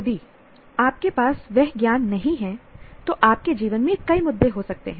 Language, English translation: Hindi, If you do not have that knowledge, you can have many, many issues in life